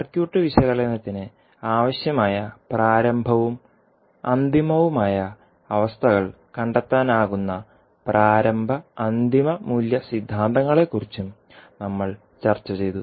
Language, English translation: Malayalam, And we also discussed the initial and final value theorems also through which we can find out the initial and final conditions required for circuit analysis